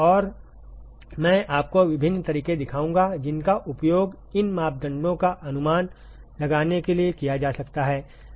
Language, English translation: Hindi, And I will show you different methods that can be used for estimating these parameters ok